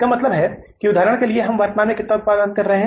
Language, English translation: Hindi, It means that for example we are currently producing how much